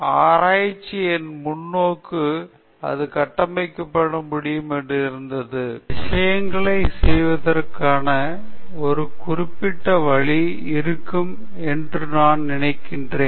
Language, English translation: Tamil, My perspective of research was that it could be more structured; I thought there would be a certain way of doing things